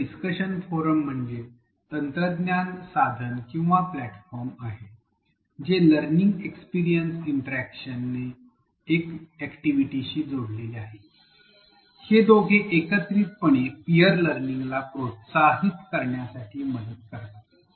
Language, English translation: Marathi, So, a discussion forum is actually the technology tool or the platform combined with the learning experience interaction the LxI activity, these two together will help promote peer learning